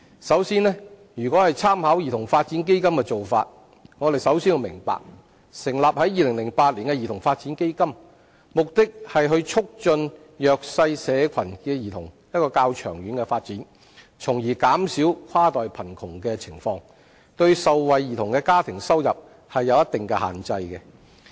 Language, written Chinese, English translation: Cantonese, 首先，如果參考兒童發展基金的做法，我們首先要明白，成立於2008年的兒童發展基金旨在促進弱勢社群的兒童較長遠的發展，從而減少跨代貧窮的情況，對受惠兒童的家庭收入有一定限制。, First if we make reference to the practice adopted by CDF the first thing we need to understand is CDF founded in 2008 aims to facilitate the longer - term development of children from disadvantaged backgrounds with a view to alleviating inter - generational poverty with certain restrictions imposed on the household income of the beneficiaries